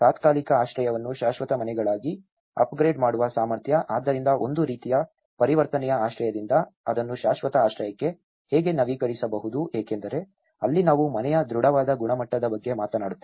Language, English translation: Kannada, Ability to upgrade temporary shelters into permanent houses, so one is from a kind of transition shelter, how it could be upgraded to a permanent shelter because that is where we talk about the robust quality of the house